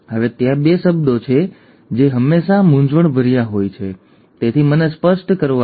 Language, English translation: Gujarati, Now, there are two terms which are always confusing, so let me clarify that